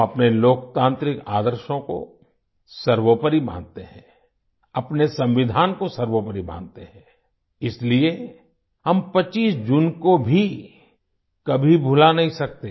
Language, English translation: Hindi, We consider our democratic ideals as paramount, we consider our Constitution as Supreme… therefore, we can never forget June the 25th